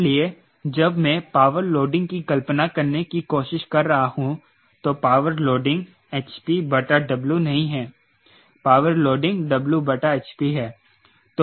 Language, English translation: Hindi, ok, so when i am trying to visualize power loading, power loading is not h p by w, power loading is w by h p